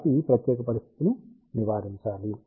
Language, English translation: Telugu, So, this particular condition should be avoided